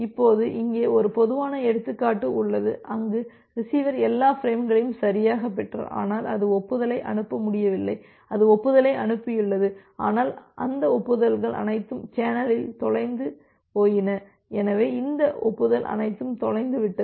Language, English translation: Tamil, Now, here is a typical example, where the receiver has correctly received all the frames, but it was not able to send the acknowledgement, it has sent the acknowledgement, but all those acknowledgement got lost in the channel so, all this acknowledgement got lost